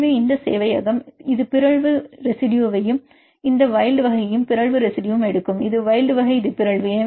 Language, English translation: Tamil, So, these a server it will take the mutation residue and this wild type and the mutation residue, this is the wild type this is mutant right